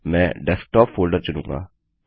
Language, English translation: Hindi, I will choose the Desktop folder